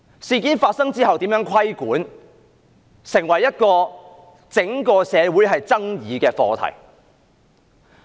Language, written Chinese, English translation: Cantonese, 事件發生後如何規管，成為整個社會爭議的課題。, After the incident the issue of how the industry should be regulated has become a controversial subject in the whole society